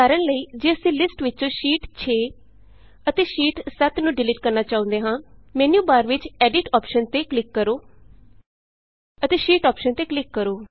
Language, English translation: Punjabi, For example if we want to delete Sheet 6 and Sheet 7from the list, click on the Edit option in the menu bar and then click on the Sheet option